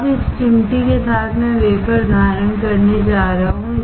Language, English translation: Hindi, Now, with this tweezer I am going to hold the wafer